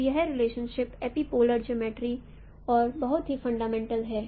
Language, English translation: Hindi, So this relationship is also a very fundamental to epipolar geometry